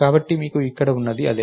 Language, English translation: Telugu, So, thats what you have here